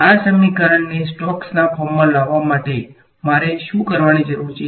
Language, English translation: Gujarati, So, what do I need to do to this equation to get it into Stokes form